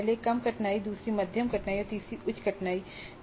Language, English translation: Hindi, The first one is lower difficulty, second one is moderate difficulty and the third one is higher difficulty level